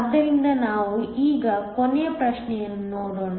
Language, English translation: Kannada, So, Let us now look in the last question